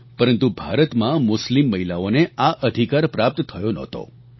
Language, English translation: Gujarati, But Muslim women in India did not have this right